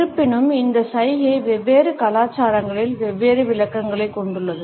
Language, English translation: Tamil, Even though, this gesture has different interpretations in different cultures